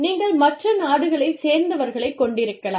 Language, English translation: Tamil, You could have people from, other countries